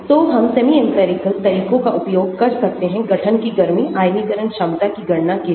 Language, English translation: Hindi, So, we can use semi empirical methods for calculating heat of formation, ionization potentials